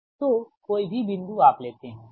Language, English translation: Hindi, so any point you take, right